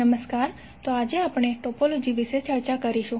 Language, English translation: Gujarati, Namashkar, so today we will discuss about the topology